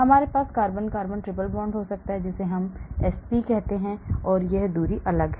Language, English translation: Hindi, we may have carbon carbon triple bond we call it sp, that distance is different